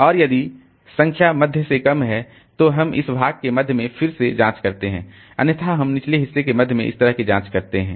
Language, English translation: Hindi, And if the number is less than the middle, the number search is less than this element, then we search in this portion again probing at the middle